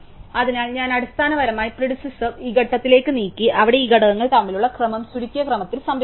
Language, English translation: Malayalam, So, I have basically move the predecessor to this point, where preserve the order between these elements in the sorted order